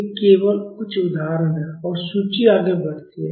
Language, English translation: Hindi, These are only a few examples and the list goes on